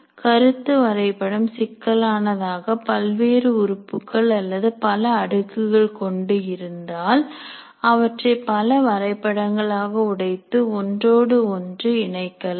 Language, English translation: Tamil, If the concept map becomes unwieldy, there are too many elements, too many layers in that, then you can break it into multiple maps and still link one to the other